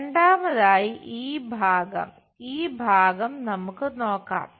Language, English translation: Malayalam, Second this part, this part we will see